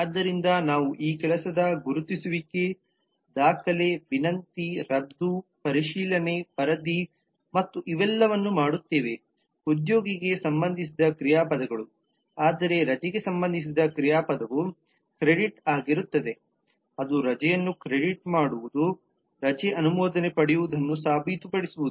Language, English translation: Kannada, so we do this identification of work, record, request, cancel, check report and all these are the verbs associated with employee whereas the verb associated with leave will be credit, that is crediting leave, prorating leave getting a leave approved and so on and so forth